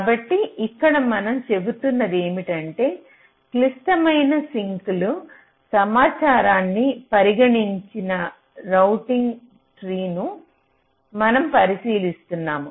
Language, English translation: Telugu, so here what you are saying is that we are considering a routing tree that does not consider critical sink information